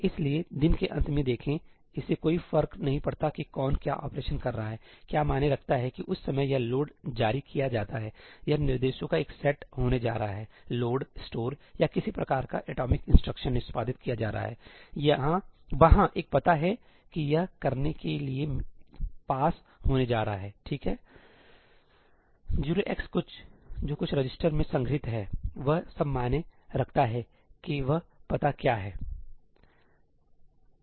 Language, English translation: Hindi, So, look, at the end of the day, it does not matter who is doing what operation; what matters is that at the time this load is issued itís going to be a set of instructions: load, store or some kind of an atomic instruction being executed there is going to be an address that is going to be passed to it, right, 0x something, which is stored in some register ; all that matters is what is that address